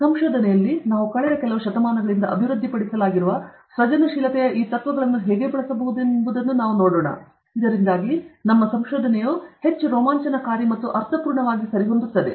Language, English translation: Kannada, And in research, we will have to see how we can use these principles of creativity which have been developed for the past few centuries, so that we can make our research more exciting and meaningful alright